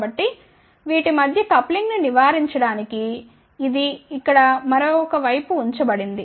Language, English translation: Telugu, So, just to avoid the coupling between this and this one here it has been put on the other side